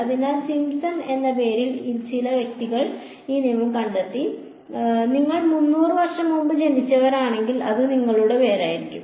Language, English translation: Malayalam, So, some person by the name of Simpson discovered this rule, I mean if you were born 300 years ago, it would be named after you right; it is nothing very great about it